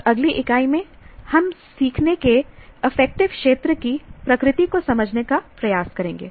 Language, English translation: Hindi, And in the next unit, we will now try to understand the nature of affective domain of learning